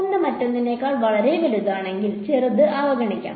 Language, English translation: Malayalam, If one is much bigger than the other, I can ignore the smaller one